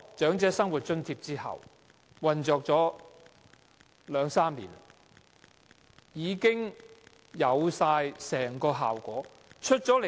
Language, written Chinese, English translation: Cantonese, 長者生活津貼引入後已運作了兩三年，理應有成效。, The Old Age Living Allowance Scheme which has been implemented for two to three years should have some effects